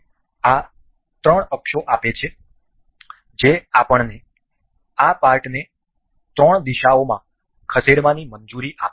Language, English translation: Gujarati, This gives three axis that the that allows us to move this part in the three directions